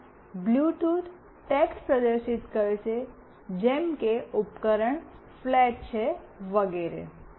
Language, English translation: Gujarati, So, Bluetooth will display a text like the device is flat, etc